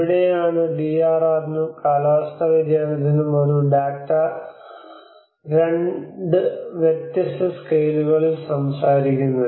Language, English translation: Malayalam, So this is where the DRR and climate change have a the data itself talks in a 2 different scales